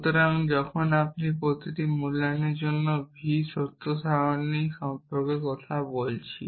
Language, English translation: Bengali, So, when you say for every valuation v essentially we are talking about the truths table for the formula